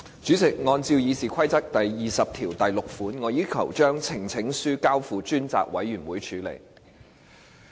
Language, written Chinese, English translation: Cantonese, 主席，按照《議事規則》第206條，我要求將呈請書交付專責委員會處理。, President in accordance with Rule 206 of the Rules of Procedure I request that the petition be referred to a select committee